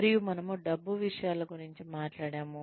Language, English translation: Telugu, And, we talked about money matters